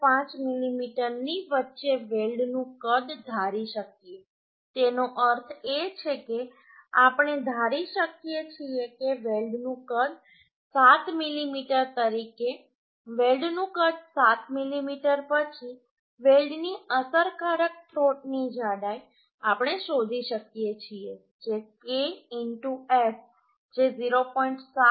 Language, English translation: Gujarati, 5 mm that means we can assume the size of the weld as say 7 mm size of the weld as 7 mm then effective throat thickness of the weld we can find out that is K into S that is 0